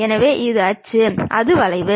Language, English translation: Tamil, So, this is the axis, that is the curve